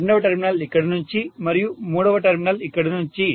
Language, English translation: Telugu, Second terminal from here, and third terminal from here